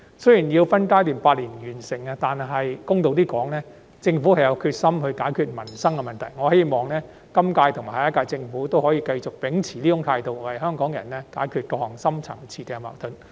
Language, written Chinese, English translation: Cantonese, 雖然有關建議須用8年分階段完成，但公道一點來說，政府有決心解決民生的問題，我希望今屆和下一屆政府可以繼續秉持這種態度，為香港人解決各項深層次矛盾。, While the proposed alignment will take eight years to complete in phases it would be fair to say that the Government is determined to address livelihood issues . I hope that the current - term Government and the next - term Government will continue to adopt this attitude to resolve various deep - rooted conflicts for the people of Hong Kong